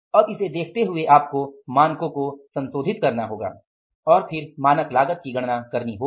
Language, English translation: Hindi, Now looking at this you have to now revise the standards and then you have to calculate the standard cost